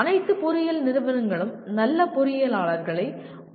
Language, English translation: Tamil, After all engineering institutions are required to produce good engineers